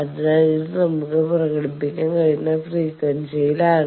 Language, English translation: Malayalam, So, this is in terms of frequency we can express this